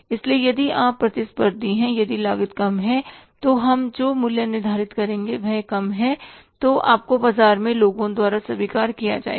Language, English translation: Hindi, So, if you are very, very competitive, if the cost is low, price will certainly be low and you will be accepted by the people in the market